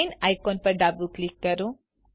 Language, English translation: Gujarati, Left click the chain icon